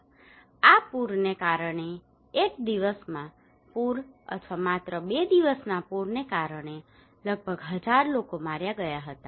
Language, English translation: Gujarati, Around 1,000 people were killed due to this flood just one day flood or 2 days flood